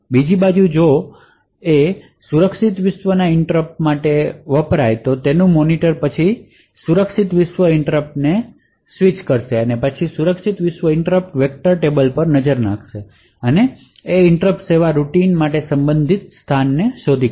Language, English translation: Gujarati, On the other hand if the interrupt happened to be a secure world interrupt the monitor would then channel that secure world interrupt which would then look at a secure world interrupt vector table and identify the corresponding location for that interrupt service routine